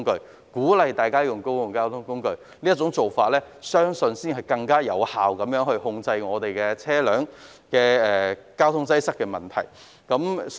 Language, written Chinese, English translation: Cantonese, 我相信鼓勵大家使用公共交通工具，才能更有效地控制交通擠塞的問題。, I believe encouraging the use of public transport is a more effective means to control the traffic congestion problem